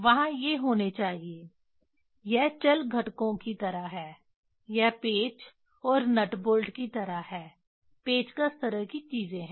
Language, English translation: Hindi, There should be these are the just it is like a movablecomponents, it is like the just like screw and nut bolt, screw driver kind of things